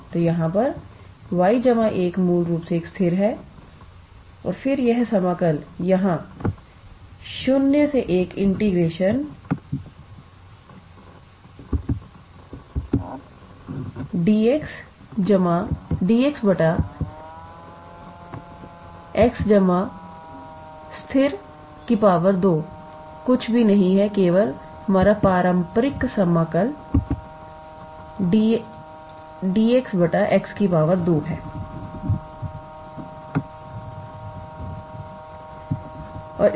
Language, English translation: Hindi, So, here this y plus 1 is basically a constant and then this integral here integral 0 to 1 d x by x plus constant square is nothing but that our traditional d x by x square integral